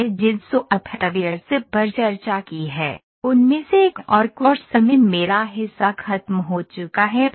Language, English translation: Hindi, One of the softwares we have discussed and with this my part in the course is over